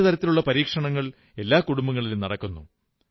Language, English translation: Malayalam, All sorts of experiments are being carried out in every family